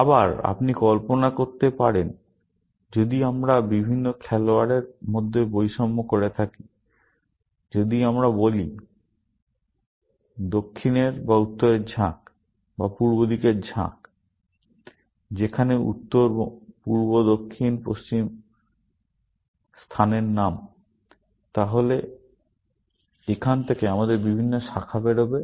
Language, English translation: Bengali, Again, you can imagine if we discriminated between the different players, if we said turn of south, or turn of north, or turn of east; where, north, east, south, west are the names of the place, then we would have different branches coming out of here